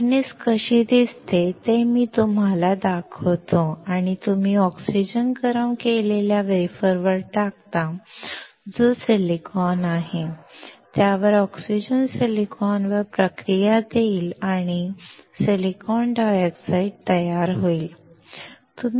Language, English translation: Marathi, I will show you how the furnace looks like and you pass oxygen onto the heated wafer which is silicon, then the oxygen will react with silicon to form silicon dioxide